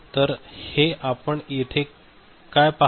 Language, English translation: Marathi, So this what you see over here